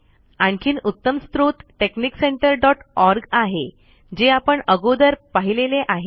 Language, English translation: Marathi, Another excellent source is texnic center dot org, which we have already seen